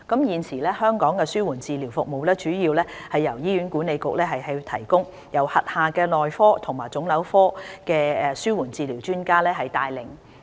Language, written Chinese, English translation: Cantonese, 現時，香港的紓緩治療服務主要由醫院管理局提供，並由轄下內科及腫瘤科的紓緩治療專家帶領。, Currently palliative care services in Hong Kong are mainly provided by the Hospital Authority HA led by palliative care specialists under the specialties of Medicine and Oncology